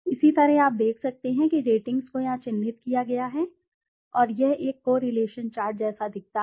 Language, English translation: Hindi, Similarly the rating, you can see the ratings have been marked here and it looks like a correlation chart